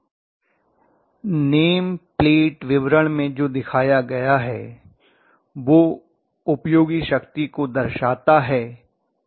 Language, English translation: Hindi, what is given in the name plate details is indicative of useful power, is that so